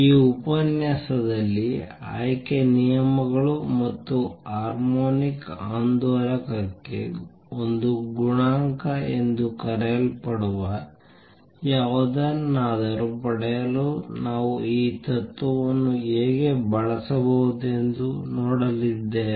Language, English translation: Kannada, In this lecture, we are going to see how we can use this principle to derive something called the selection rules and also the A coefficient for the harmonic oscillator